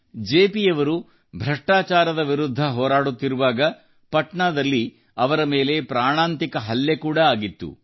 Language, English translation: Kannada, When JP was fighting the crusade against corruption, a potentially fatal attack was carried out on him in Patna